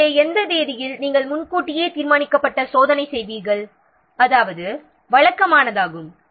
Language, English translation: Tamil, So, on what date you will make the checking that is predetermined